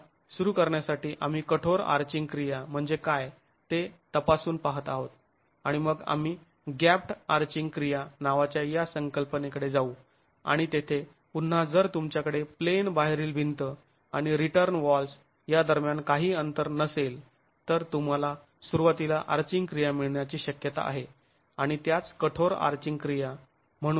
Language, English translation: Marathi, Again to begin with we are examining what is called a rigid arching action and then we will move on to a concept called gaped arching action and there again if you have no gap between the out of plain wall and the return walls then it is possible that you get arching action right at the beginning and that is referred to as rigid arching action